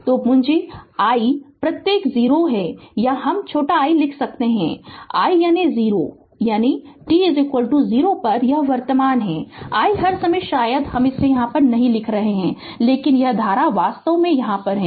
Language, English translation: Hindi, So, capital I suffix is 0 right or we can write small i that is 0 is equal to that is at t is equal to 0; this is the current i all the time perhaps we are not writing it, but this current it is actually it right